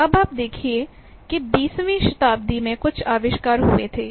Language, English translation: Hindi, Now, you see there are some inventions which happened in the twentieth century